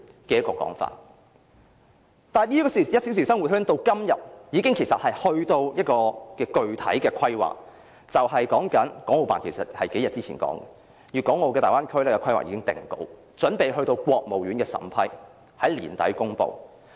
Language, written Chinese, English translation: Cantonese, 這個1小時生活圈至今已達致具體規劃，其實國務院港澳事務辦公室數天前已說，粵港澳大灣區規劃已定稿，準備上呈國務院審批，並於年底公布。, This one - hour living circle has now reached the stage of concrete planning . Just a few days ago the Hong Kong and Macao Affairs Office of the State Council said that the planning for Guangdong - Hong Kong - Macao Bay Area had been finalized was ready to be submitted to the State Council and would be announced by the end of the year